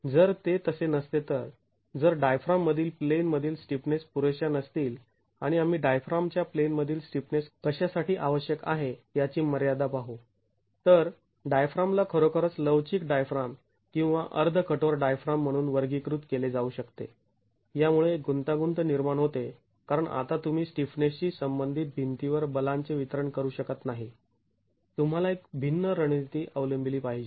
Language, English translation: Marathi, If that were not so, if the in plain stiffness of the diaphragm is not adequate and we will see the limits on what is adequate in plain stiffness of a diaphragm, then the diaphragm could actually be classified as a flexible diaphragm or a semi rigid diaphragm that creates a complication because you cannot now distribute the forces onto the walls related to the stiffness